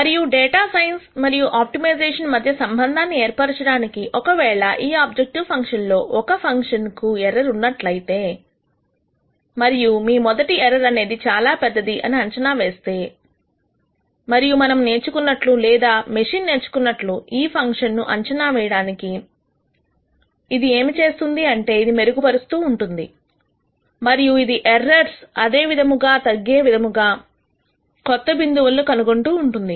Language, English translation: Telugu, And just to make the connection between data science and optimization if this objective function were an error in some function that you are approximat ing your initial error is very large and as we learn or as the machine learns to approximate the function, what it does it keeps improving and it keeps nding out new points which could be the parameter values that that you are trying to nd out such that the error keeps decreasing